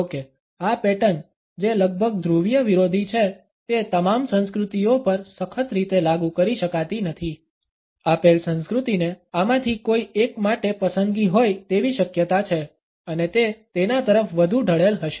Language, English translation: Gujarati, Although these patterns which are almost polar opposites cannot be applied rigidly to all the cultures; a given culture is likely to have a preference for either one of these and would be more inclined towards it